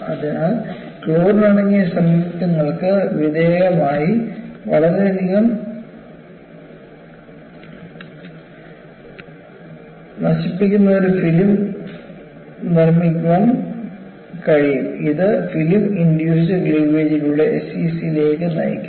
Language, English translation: Malayalam, So, they were exposed to chlorine containing compounds; these compounds can produce a highly corrosive film, which can lead to SCC through film induced cleavage